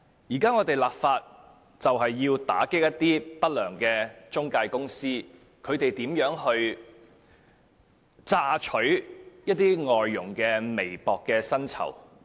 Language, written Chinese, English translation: Cantonese, 現在我們立法是要打擊一些不良中介公司榨取外傭微薄薪酬的行為。, Our current legislative exercise seeks to combat some unscrupulous intermediaries acts of squeezing the meagre salary of foreign domestic helpers